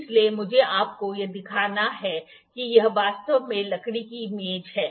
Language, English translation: Hindi, So, I liked to show you that this is actually a wooden table